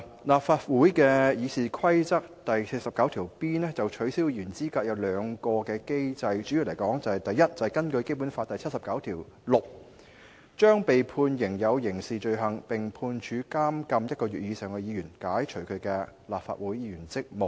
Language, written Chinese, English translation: Cantonese, 立法會《議事規則》第 49B 條就取消議員的資格訂明兩個機制，首先是第 49B1 條所訂，根據《基本法》第七十九條第六項，對被判犯有刑事罪行，並被判處監禁1個月以上的議員，解除其立法會議員職務。, Rule 49B of the Rules of Procedure RoP of the Legislative Council stipulates two mechanisms for disqualification of Member from office . The first is RoP 49B1 which provides that a Member who was convicted of a criminal offence and sentenced to imprisonment for one month or more shall be relieved of his duties as a Member of the Legislative Council under Article 796 of the Basic Law